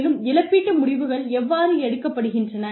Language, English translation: Tamil, And, how compensation decisions are made